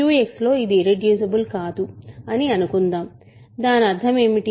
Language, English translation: Telugu, Suppose it is not irreducible in Q X, what does that mean